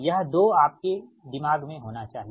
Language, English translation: Hindi, this two should be in your mind, right